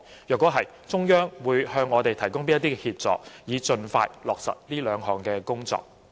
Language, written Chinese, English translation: Cantonese, 如是，中央會向我們提供甚麼協助，以盡快落實這兩項工作？, If they are what assistance will the Central Authorities provide to us in order to implement these two tasks as soon as possible?